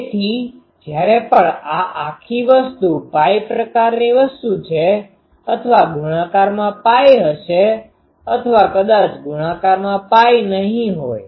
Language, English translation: Gujarati, So, whenever this will give this whole thing is pi sort of thing or multiple will have pi even multiple of pi these won’t be even multiple of pi